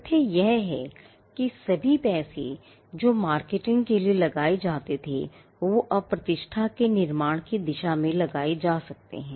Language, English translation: Hindi, The fact that, all the money that is pulled in for marketing can now be attributed as something that goes towards building the reputation